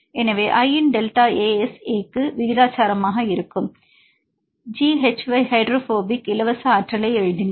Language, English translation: Tamil, So, we can write G hy hydrophobic free energy which is proportional to delta ASA of i